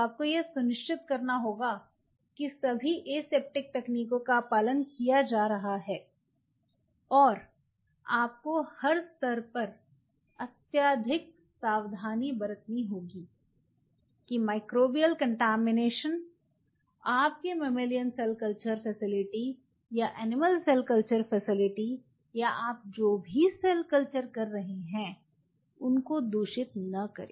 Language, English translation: Hindi, You have to ensure that all the aseptic techniques are being followed and you have to be ultra careful at every level that microbial contamination should not contaminate your mammalian cell culture facility or animal cell culture facility or you know whatever cell cultured you are following